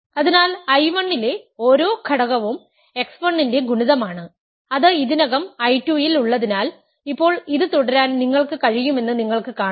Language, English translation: Malayalam, So, every element in I 1 which is a multiple of x 1 is already in I 2 and now you can see that we can keep doing this